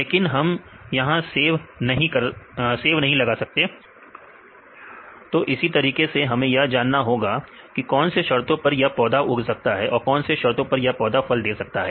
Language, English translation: Hindi, But, we cannot grow apple here; so, likewise we need to know which conditions this plant can grow and which conditions the plant can give the fruit